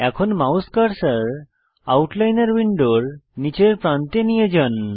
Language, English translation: Bengali, Now, move the mouse cursor to the bottom edge of the Outliner window